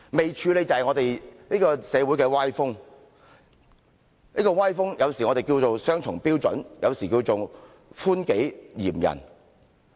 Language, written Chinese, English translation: Cantonese, 不處理的是社會的歪風，我們有時稱這種歪風為雙重標準，有時稱為寬己嚴人。, By unfinished item I mean we have yet to deal with the malady in society . We sometimes call this malady double standard while the other time we call this lenient to oneself but strict to others